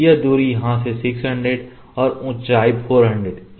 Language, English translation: Hindi, This distance is 600 from here to here, this distance is 600 and the height is 400